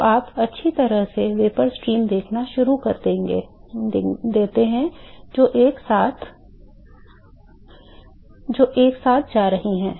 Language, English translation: Hindi, So, you well start seeing vapor stream which is going together